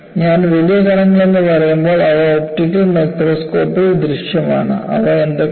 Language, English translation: Malayalam, When I say large particles, they are visible in optical microscope, and what are they